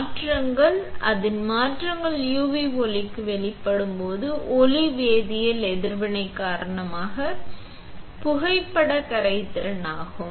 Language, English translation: Tamil, The changes, its changes is photo solubility due to photochemical reaction exposed to the UV light